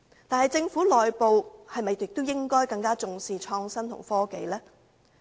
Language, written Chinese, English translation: Cantonese, 但是，政府內部是否亦應更重視創新及科技呢？, Nevertheless should greater importance not also be attached to innovation and technology within the Government?